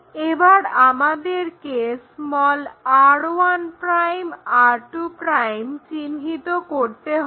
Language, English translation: Bengali, Now, we have to locate r 1', r 2'